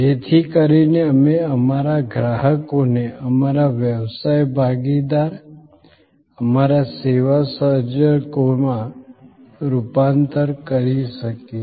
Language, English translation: Gujarati, So, that we can convert our customers into our business partners, our service co creators